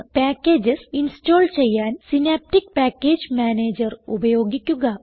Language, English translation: Malayalam, Use Synaptic Package Manager to install packages